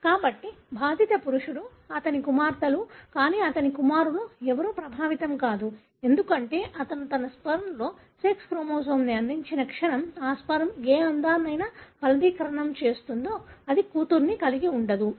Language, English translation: Telugu, So an affected male, all his daughters, but none of his sons are affected, because the moment he contributes sex chromosome in his sperm, that sperm, whichever egg it fertilizes that would result in a daughter not in son